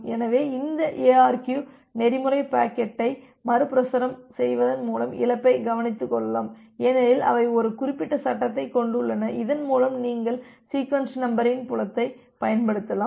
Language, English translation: Tamil, So, this ARQ protocol they can take care of the loss by retransmitting the packet because they have a reference frame through which you can it can utilize the sequence number field